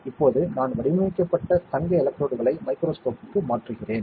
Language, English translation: Tamil, Now, I am transferring the patterned gold electrodes onto the microscope